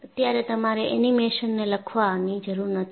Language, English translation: Gujarati, You do not have to write this animation currently